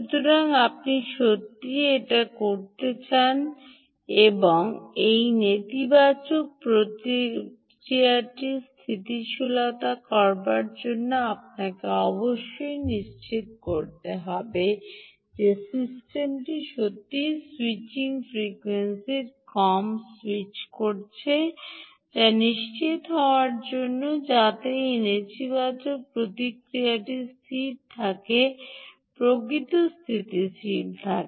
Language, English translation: Bengali, moreover, this negative feedback to be stable means you have to ensure that the system indeed is switching lower the switching frequency is indeed at least a decade lower in order to ensure that this negative feedback keeps the actual remains stable